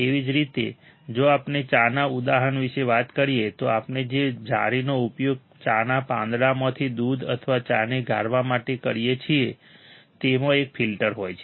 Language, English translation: Gujarati, So, same way if we talk about example of a tea, then the mesh that we use to filter out the milk or the tea from the tea leaves, there is a filter